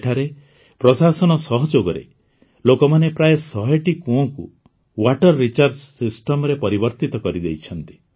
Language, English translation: Odia, Here, with the help of the administration, people have converted about a hundred wells into water recharge systems